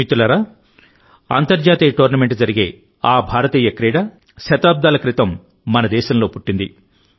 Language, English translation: Telugu, Friends, there is going to be an international tournament of a game which was born centuries ago in our own country…in India